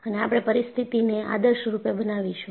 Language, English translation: Gujarati, And, we will idealize the situation